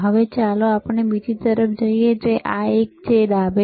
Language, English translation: Gujarati, Now, let us move to the another one, which is this one